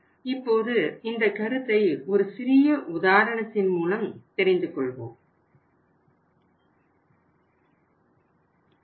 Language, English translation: Tamil, Now I will explain this, this concept with the help of a small case